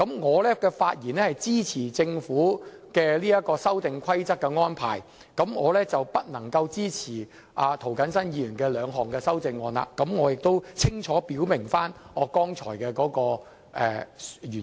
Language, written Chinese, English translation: Cantonese, 我發言支持政府提出的《修訂規則》，不支持涂謹申議員提出的兩項議案，原因剛才我亦清楚表明。, I speak in support of the Amendment Rules put forth by the Government and in opposition of the two amendments raised by Mr James TO for the reasons stated above